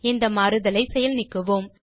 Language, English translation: Tamil, Let us undo this change